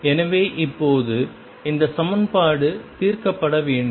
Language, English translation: Tamil, So now, this equation is to be solved